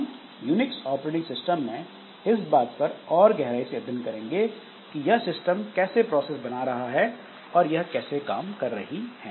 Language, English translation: Hindi, So, we'll be looking in more detail the Unix operating system, how this system, how this system, this process creation and these things work